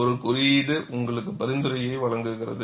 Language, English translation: Tamil, A code gives you the recommendation